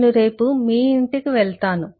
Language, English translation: Telugu, Ill go to your home tomorrow